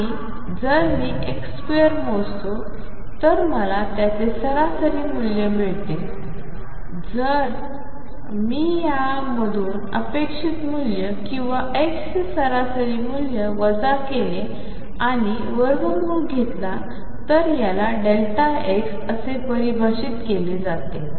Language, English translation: Marathi, And if I measure x square I get an average value of that if I subtract expectation value or average value of x from this and take square root, this is defined as delta x